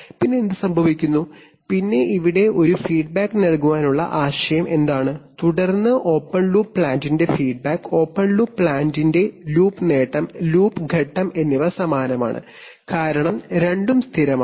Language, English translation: Malayalam, Then what happens, then what is the idea of giving a feedback here, see then the feedback of the open loop plant, loop gain of the open loop plant, loop phase are same, because both are constants